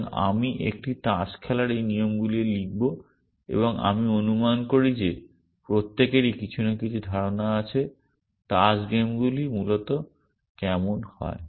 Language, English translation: Bengali, So, I will write these rules for a card game and I assume that everybody has some in cling of what card games are like essentially